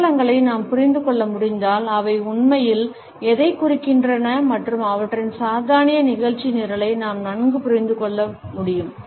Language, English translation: Tamil, If we can understand the symbolisms and what they really mean we can better understand their satanic agenda